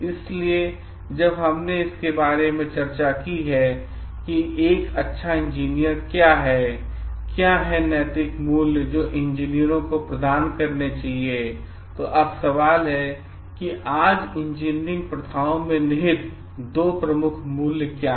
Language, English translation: Hindi, So, when we have discussed about the what makes a good engineer and what are the ethical values that the engineers should be providing, now we have to like develop on the question what are the two key values that lie in engineering practices today